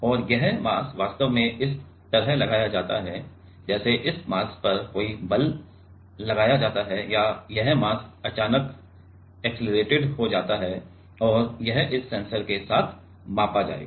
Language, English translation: Hindi, And, this mass is actually applied with like some force is applied on this mass or this mass is suddenly accelerated and that will measure with this sensor